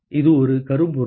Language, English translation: Tamil, It is a blackbody